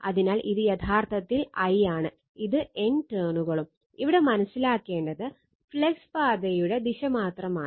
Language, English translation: Malayalam, So, this is actually I, and this is N turns, and this is the only thing need to understand the direction of the flux path